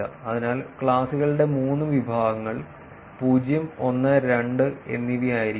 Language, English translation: Malayalam, So, three categories of classes three classes that they are made 0, 1 and 2